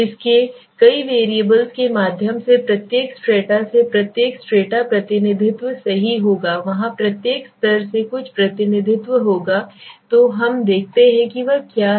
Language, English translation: Hindi, Through its several variables right so each strata now from each strata there would be some representation right there will be some representation from each strata so let us see what he is doing